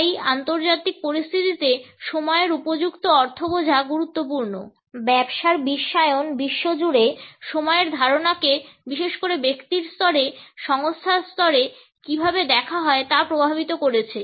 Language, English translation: Bengali, Understanding appropriate connotations of time is therefore important in international situations globalization of business is influencing how the concept of time is viewed around the world particularly at the level of the individual, at the level of the organization